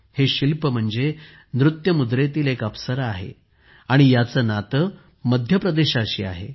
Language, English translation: Marathi, This is an artwork of an 'Apsara' dancing, which belongs to Madhya Pradesh